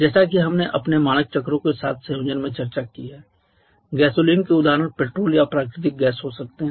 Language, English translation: Hindi, As we have discussed in connection with our standard cycles the gasoline examples can be petrol or natural gases